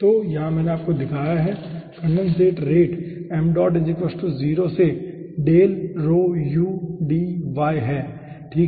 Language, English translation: Hindi, so here i have shown you that condensate rate